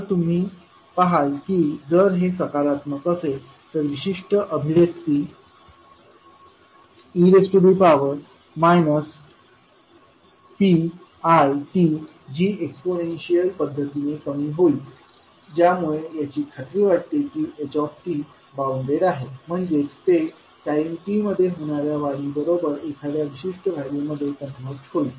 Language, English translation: Marathi, so what does it mean then you will see that if this is positive, this particular expression will be e to the power minus p one t, which would be exponentially decaying which makes sure that the h t is bounded means it is conversing to a particular value with the increase in time t